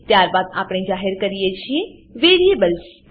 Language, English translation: Gujarati, Then we declare the variables